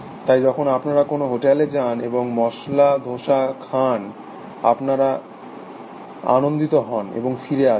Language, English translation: Bengali, So, you go to the some hotel and you ate masala dosa, and you are happy, you come back